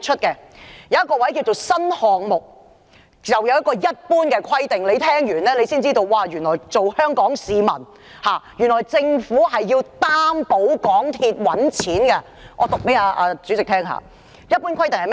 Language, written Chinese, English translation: Cantonese, 有一項是"新項目"，下有"一般規定"，聽完後便會知道，原來政府是要擔保港鐵公司賺錢的，且讓我向代理主席唸出來。, An item therein is called New Projects under which there is General . After a listen you will come to know that the Government has to guarantee MTRCL will make money . Let me read it to Deputy President